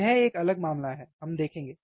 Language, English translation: Hindi, That is different case, we will see